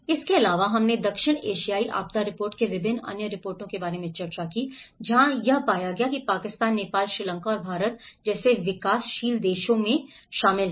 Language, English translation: Hindi, Also, we did discussed about various other reports of South Asian disaster report, where it has covered in kind of developing countries like Pakistan, Nepal, Sri Lanka and India